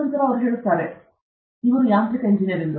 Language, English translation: Kannada, And then, you say, that he is a mechanical engineer